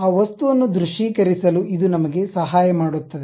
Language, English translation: Kannada, It help us to really visualize that object